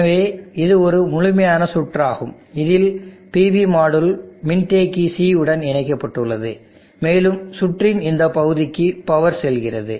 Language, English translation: Tamil, So this is a complete circuit which contain the PV module which is connected to capacitor C, and the power flows into this portion of the circuit